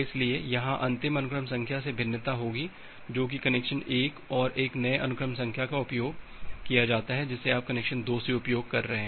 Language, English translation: Hindi, So, there would be difference here from the last sequence number which is used by connection 1 and a new sequence number that you are using from connection 2